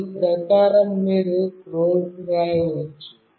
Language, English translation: Telugu, Accordingly you can have the code written